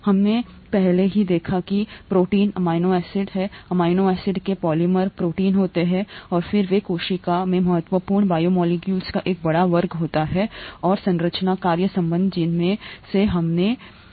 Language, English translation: Hindi, We have already seen that proteins, amino acids, polymers of amino acids are proteins and they are a large class of important biomolecules in the cell and there is a structure function relationship, one of which we have seen